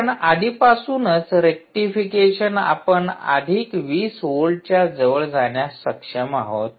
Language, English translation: Marathi, because already, just after rectification, you are able to get close to plus twenty volts